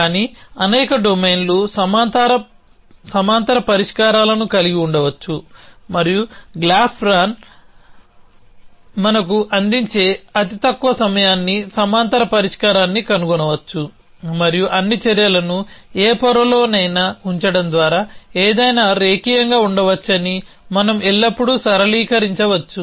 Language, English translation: Telugu, But, many domains may have parallel solutions and what graph plan does give us is the shortest time in which a parallel solution can be found and we can of course always linearise that by putting all the actions in any layer can be linearise in any